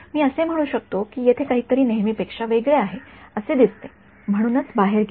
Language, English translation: Marathi, Than I can say he looks like there is something unusual over here take it out right